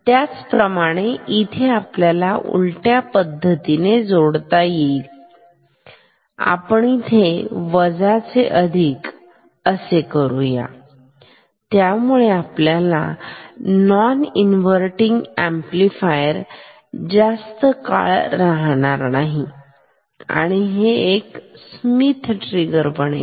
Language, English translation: Marathi, Similarly, here also if you make this opposite make this minus make this plus this will no longer be a inverting amplifier, this will become also a Schmitt trigger